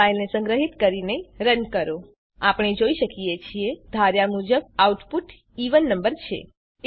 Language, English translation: Gujarati, Now Save and run the file As we can see, the output is even number as expected